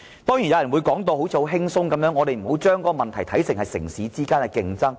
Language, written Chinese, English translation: Cantonese, 當然有人會說得很輕鬆，說我們不要把問題看成是城市之間的競爭。, Of course there are bound to be people who think it is no big deal and who advise that we must not treat the problem as any intercity competition